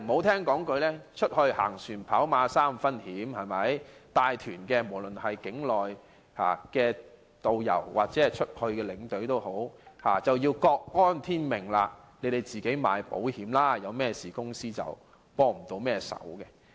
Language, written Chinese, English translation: Cantonese, 人在外，"行船跑馬三分險"，無論是帶團的境內導遊或境外領隊都要各安天命，自行購買保險，發生問題時公司未能提供協助。, For inbound tour guides and outbound tour escorts leading outbound tours they can only submit themselves to fate and take out insurance at their own cost . The travel agents they work for may not provide them with any support in case of problems